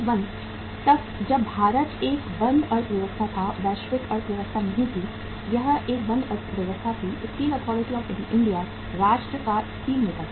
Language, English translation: Hindi, Till 1991 when India was a closed economy, not a globalized economy, it was a closed economy, Steel Authority of India was the steelmaker to the nation